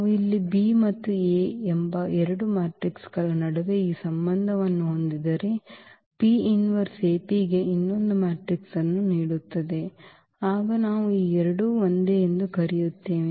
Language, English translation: Kannada, So, if we have this relation between the 2 matrices here B and A that P inverse AP gives the B the other matrix, then we call that these two are similar